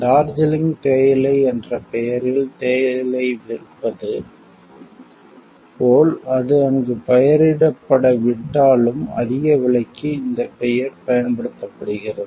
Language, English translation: Tamil, Like selling tea in the name of Darjeeling tea, though it is not grown there, but the name is just used to command a high price